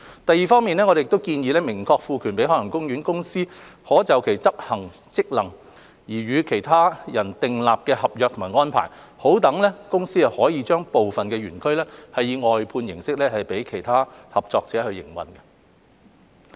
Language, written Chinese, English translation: Cantonese, 第二，我們建議明確賦權海洋公園公司可就執行其職能而與任何其他人訂立合約或安排，讓公司可以將部分園區以外判形式交予其他合作者營運。, Second we propose expressly empowering OPC to enter into a contract or an arrangement with any other person in relation to the performance of its functions so as to enable OPC to outsource the operation of certain parts of OP to other collaborators